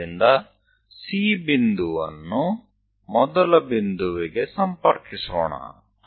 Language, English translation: Kannada, So, let us connect C point all the way to first point